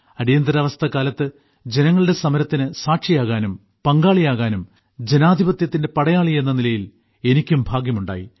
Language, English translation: Malayalam, During the Emergency, I had the good fortune to have been a witness; to be a partner in the struggle of the countrymen as a soldier of democracy